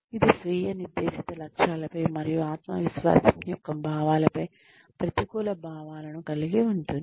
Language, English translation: Telugu, It has negative effects, on self set goals and, on feelings of self confidence